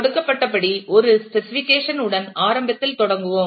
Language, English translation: Tamil, We will initially start with a specification as given